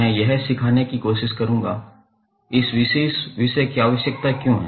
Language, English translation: Hindi, I will try to understand why this particular this subject is required